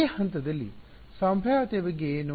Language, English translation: Kannada, What about the potential at the at this point